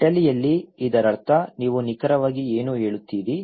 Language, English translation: Kannada, In Italy, it means that what exactly, do you mean